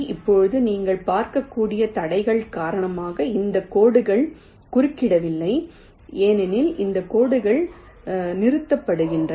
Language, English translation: Tamil, now, as you can see, because of the obstacles, this lines are not intersecting, because this lines are getting stopped